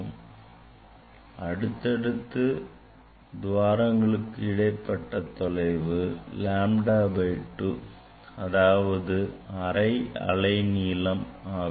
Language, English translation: Tamil, consecutive that separation of the distance or difference of the distance will be lambda by 2 half wavelength